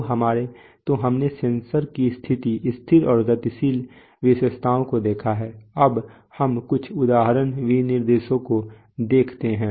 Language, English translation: Hindi, So we have seen the static and the dynamic characteristics of the sensors, now let us see some example specifications